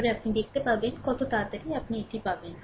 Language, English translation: Bengali, Then you see how quickly you will get it